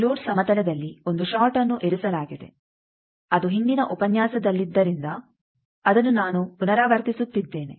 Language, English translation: Kannada, A short placed at load plane just I am repeating because that was in the earlier lecture